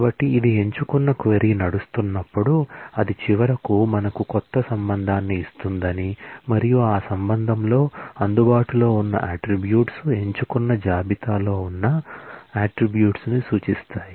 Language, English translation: Telugu, So, this specifies that, when a select query runs it will finally give us a new relation and in that relation, the attributes that will be available are the attributes that feature in the select list